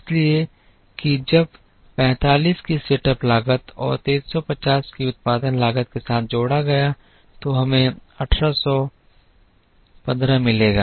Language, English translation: Hindi, So, that when added with the setup cost of 45 and production cost of 350 would give us 1815